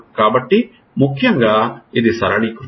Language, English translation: Telugu, So, essentially it is over simplification